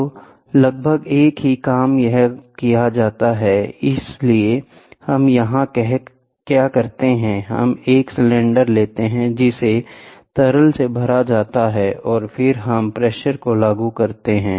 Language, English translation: Hindi, So, almost the same thing can be done here so, what we do here is, we take a cylinder fill it up with liquid and then we have pressure which is applied here